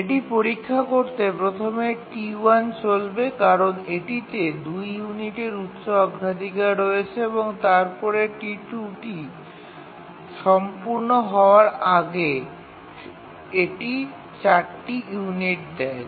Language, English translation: Bengali, So first, T1 will run because it has the higher priority, run for two units and then as it completes T2 will start